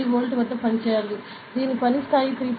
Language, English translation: Telugu, 3 volt, it is working level is 3